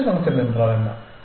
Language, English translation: Tamil, What is the fitness function